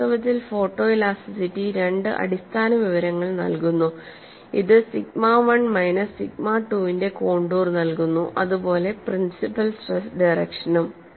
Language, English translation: Malayalam, And I said photo elasticity provides contours of sigma 1 minus sigma 2 as well as principle stress direction